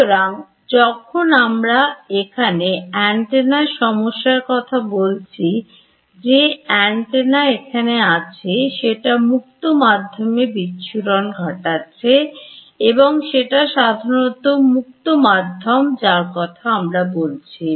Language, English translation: Bengali, So, when we are talking about antenna problems here, the antenna sitting over here it is radiating out in free space and this is usually free space that we are talking about